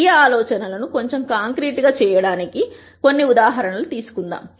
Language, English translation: Telugu, Let us take some examples to make these ideas little more concrete